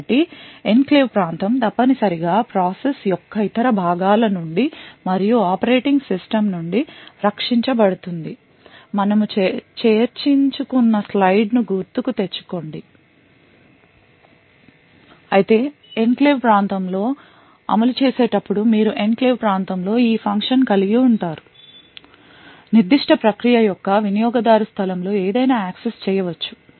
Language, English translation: Telugu, So recollect the slide where we actually discussed that the enclave region is essentially protected from the various other parts of the process as well as the operating system but however when executing within the enclave region that is you have a function within the enclave region this particular data could access anything in the user space of that particular process